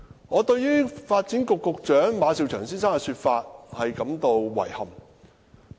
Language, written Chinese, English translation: Cantonese, 我對發展局局長馬紹祥先生的說法感到遺憾。, I find it regrettable to hear the remarks of Secretary for Development Eric MA